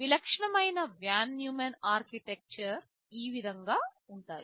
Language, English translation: Telugu, This is how typical Von Neumann Architectures look like